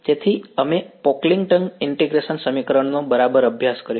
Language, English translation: Gujarati, So, we have studied Pocklington integral equation right